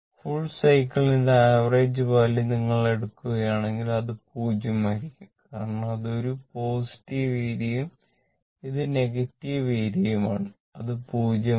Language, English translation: Malayalam, If you take average value from for the full cycle complete cycle from here to here, it will be 0 because this is positive area and this is negative area it will become 0